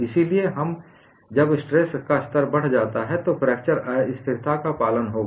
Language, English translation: Hindi, So, when the stress level is increased, fracture instability will follow